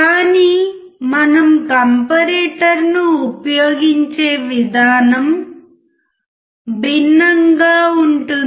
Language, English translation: Telugu, But the way we use comparator is different